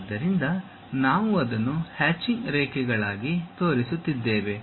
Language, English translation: Kannada, So, we are showing that one as hatched lines